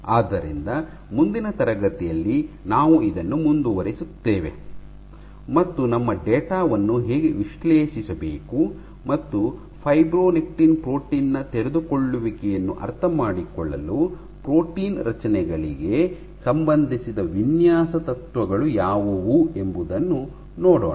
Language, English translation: Kannada, So, in the next class we will continue with this and see how to analyze our data and what are the design principles associated with coming up with protein constructs for understanding the protein unfolding of fibronectin